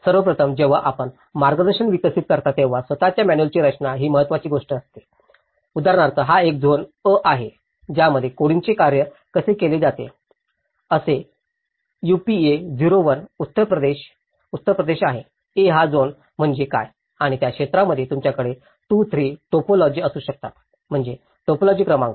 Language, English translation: Marathi, First of all, the design of the manual itself is the important thing when you are developing a guidance, for example, this is a zone A, this is how the coding is worked so now, it says UPA 01, UP is Uttar Pradesh, A is what is the zone and within the zone, you might have 2, 3 typologies, so that is where the typology number